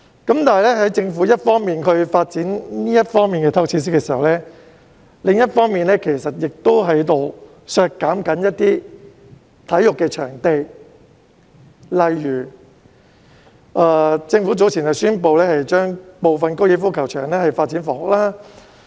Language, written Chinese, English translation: Cantonese, 但是，政府一方面發展這方面的體育設施，另一方面其實亦在削減一些體育場地，例如政府早前宣布將部分高爾夫球場發展房屋。, However while the Government is developing sports facilities in this area it is actually downsizing some sports venues as exemplified in the Governments earlier announcement that part of a golf course would be used for housing development